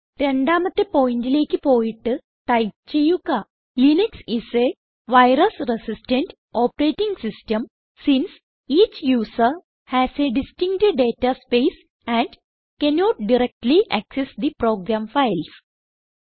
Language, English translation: Malayalam, We will go to point number 2 and type Linux is a virus resistant operating system since each user has a distinct data space and cannot directly access the program files